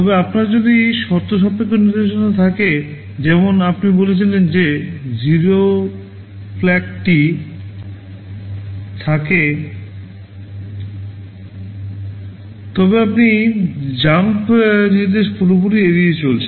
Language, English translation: Bengali, But if you have a conditional instruction, like you say add if 0 flag is set, then you are avoiding the jump instruction altogether